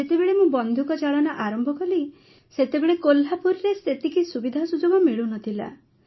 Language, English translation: Odia, When I started shooting, there were not that many facilities available in Kolhapur